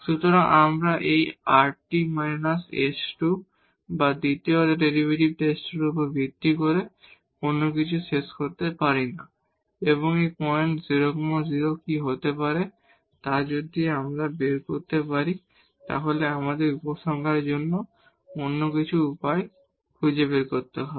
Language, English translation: Bengali, So, we cannot conclude anything based on this rt minus s square or the second order derivative test and we have to find some other ways to conclude if we can that what is this point 0 0